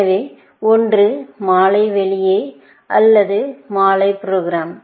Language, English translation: Tamil, So, one is evening out, or evening plan